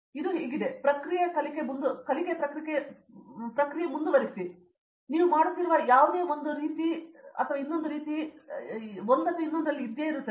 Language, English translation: Kannada, It’s like, it is continues learning process and whatever you are doing it will be right in one way or another